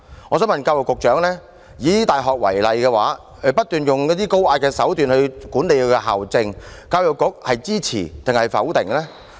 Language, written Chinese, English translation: Cantonese, 我想問教育局局長，大學不斷以高壓手段管理校政，教育局是支持還是否定呢？, I would like to ask the Secretary for Education whether the Education Bureau supports or opposes the high - handed management approach of universities